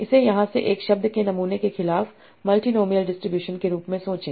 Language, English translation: Hindi, Think of it as a multi nobal distribution again sample a word from here